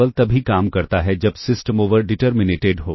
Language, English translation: Hindi, Remember, this works only with the system is over determined